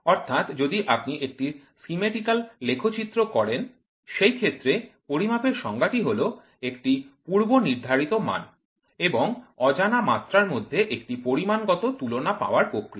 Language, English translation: Bengali, So, if you put it in a schematical diagram, so the definition of measurement is defined as the process or the act of obtaining a quantitative comparison between a predefined standard and unknown magnitude